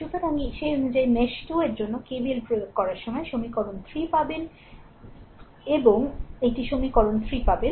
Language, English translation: Bengali, So, accordingly for mesh 2 when you apply KVL, you will get the equation 3 here it is equation 3 you will get